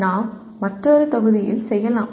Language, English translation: Tamil, That we may do in another module